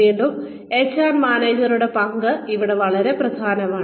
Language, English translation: Malayalam, Again, the role of the HR manager is very important here